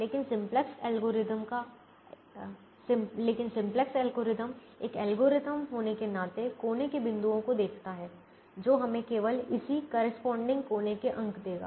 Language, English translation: Hindi, but simplex algorithm, being an algorithm that looks at corner points, will give us only the corresponding corner points